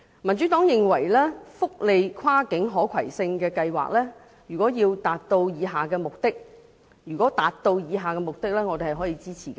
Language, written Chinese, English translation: Cantonese, 民主黨認為福利跨境可攜性計劃，如可達致以下目的，我們是會予以支持的。, The Democratic Party thinks that if the cross - boundary portability programme for welfare benefits can meet the following objectives we will give it our support